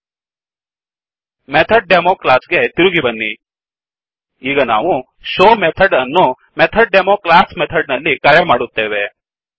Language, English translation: Kannada, Go back to MethodDemo class Now we will call this show method inside the method MethodDemo class